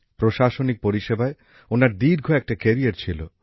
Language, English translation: Bengali, He had a long career in the administrative service